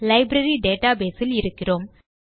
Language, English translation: Tamil, We are in the Library database